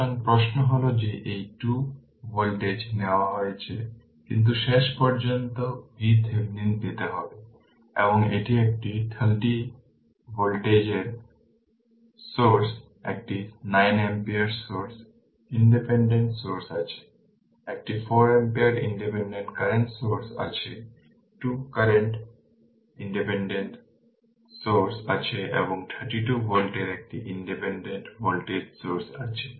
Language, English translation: Bengali, So, question is that that these 2 voltage have been taken, but you have to ultimately obtain V Thevenin and this is a 30 volt source one 9 ampere source independent source is there, one 4 ampere independent current source is there 2 cu[rrent] independent current source is there and one independent voltage source of 32 volt is there